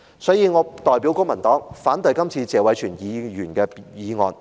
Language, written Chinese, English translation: Cantonese, 所以，我代表公民黨反對謝偉銓議員的議案。, Therefore on behalf of the Civic Party I oppose Mr Tony TSEs motion